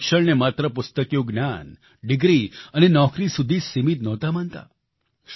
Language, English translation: Gujarati, He did not consider education to be limited only to bookish knowledge, degree and job